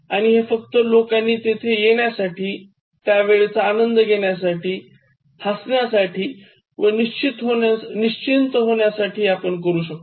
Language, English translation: Marathi, But only to make people come there and then just enjoy the time there and just laugh and then relax themselves